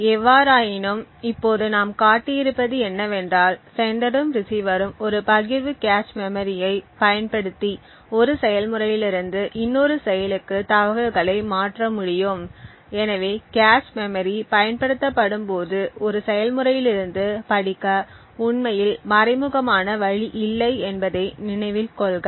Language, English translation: Tamil, However what we have shown now is that the sender and the receiver can actually use a shared cache memory to transfer information from one process to another, so note that when cache memory is used there is no implicit way to actually for one process to read from the cache memory